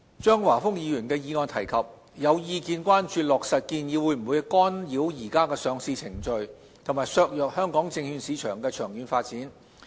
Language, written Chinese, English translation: Cantonese, 張華峰議員的議案提及，有意見關注落實建議會否干擾現時的上市程序及削弱香港證券市場的長遠發展。, As mentioned in Mr Christopher CHEUNGs motion some views are concerned that once the proposals are implemented they may disrupt the current listing process for companies and undermine the long - term development of the Hong Kong securities market